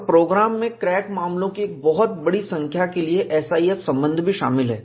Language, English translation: Hindi, The program contains a SIF relations for a large number of crack cases